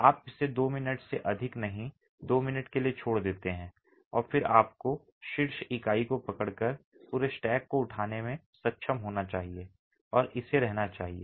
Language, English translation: Hindi, You leave it for not more than two minutes, a minute to two and then you should be able to pick up the entire stack by just taking the, by just holding the top unit and it should stay